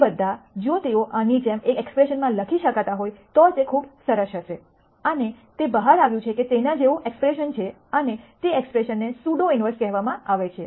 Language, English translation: Gujarati, All of them if they can be subsumed in one expression like this it would be very nice and it turns out that there is an expression like that and that expression is called the pseudo inverse